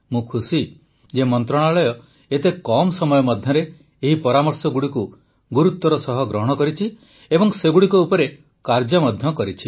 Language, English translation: Odia, I am happy that in such a short time span the Ministry took up the suggestions very seriously and has also worked on it